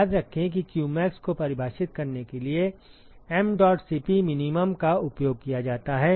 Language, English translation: Hindi, Remember mdot Cp min is what is used for defining qmax